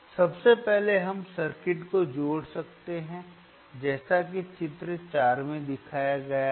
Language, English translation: Hindi, First, is we can corrnnect the circuit as shown in figure 4,